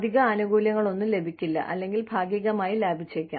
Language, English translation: Malayalam, No additional benefits included, may be partially